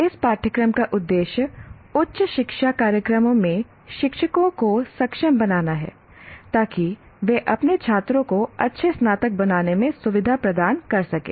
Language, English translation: Hindi, This course aims at enabling teachers in higher education programs to facilitate their students to become good graduates